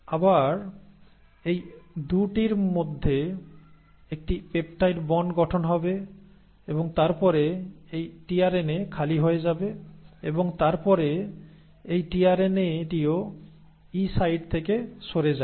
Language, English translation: Bengali, Again there will be a peptide bond formation between these 2 and then this tRNA becomes empty and then this tRNA also moves out of the E site